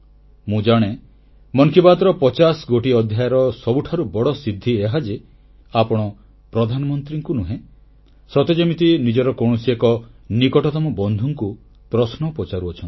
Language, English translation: Odia, I believe that the biggest achievement of the 50 episodes of Mann Ki Baat is that one feels like talking to a close acquaintance and not to the Prime Minister, and this is true democracy